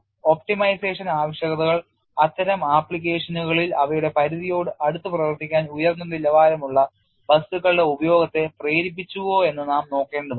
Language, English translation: Malayalam, We have to look at that optimization requirements have pushed the use of high quality materials to operate closer to their limits in such applications